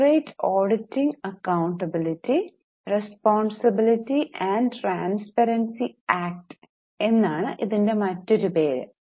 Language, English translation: Malayalam, The other name for it is corporate and auditing accountability and responsibility and transparency act